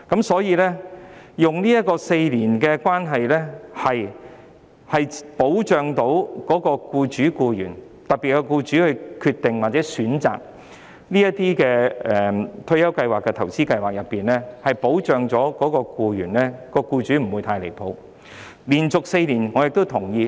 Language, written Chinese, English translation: Cantonese, 所以 ，4 年的服務期規定的確可以保障僱主和僱員；當僱主決定或選擇退休計劃和投資計劃時，不會太離譜，僱員因而也能夠得到保障。, Therefore the requirement of a period of four years of service can indeed protect employers and employees; when employers decide or choose retirement schemes and investment schemes they will not be too outrageous and as a result employees can get protection too